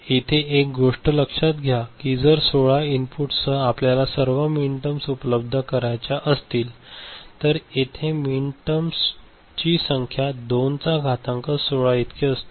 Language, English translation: Marathi, Remember, with 16 inputs if you want to generate all the minterms, so number of min terms would be 2 to the power 16 ok